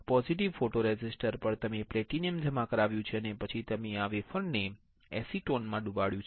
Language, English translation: Gujarati, On positive photoresist, you have deposited platinum and then you have dipped this wafer in acetone